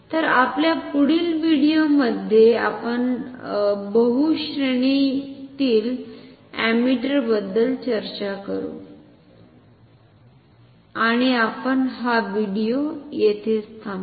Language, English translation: Marathi, So, in our next video we will talk about multi range ammeters and we will stop in this video here